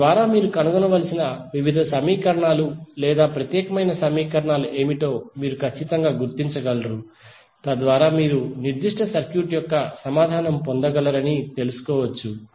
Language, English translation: Telugu, So that you can precisely identify what are the various equations or unique equation you have to find out so that you can find out you can get the answer of that particular circuit